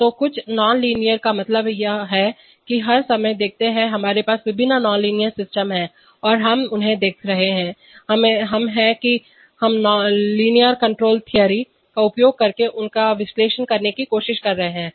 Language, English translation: Hindi, So, something is a nonlinear means what, see all the time, we have various nonlinear systems and we are looking at them, we are we are trying to analyze them using linear control theory